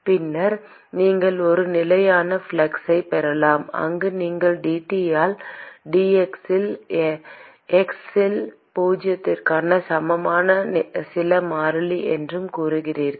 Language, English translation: Tamil, And then you can have a constant flux where you say dT by dx at x equal to zero is some constant